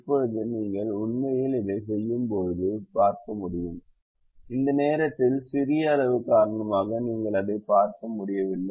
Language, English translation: Tamil, now when you actually do it, you will be able to see even though at the moment, because of the small size, you are unable to see that